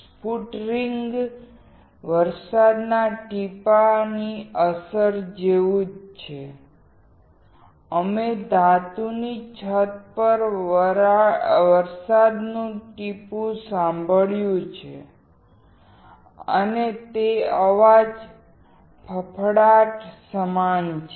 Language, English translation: Gujarati, Sputtering is similar to the effect of rain drop; you have heard the rain drop on a metal roof and that sound is similar to sputtering